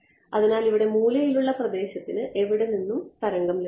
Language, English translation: Malayalam, So, corner region over here where will it get the wave from